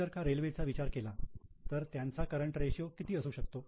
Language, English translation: Marathi, For example, if you think of railways, what will be the current ratio of railways